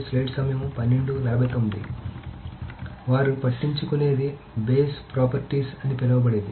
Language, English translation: Telugu, So what they do care about is something called the base properties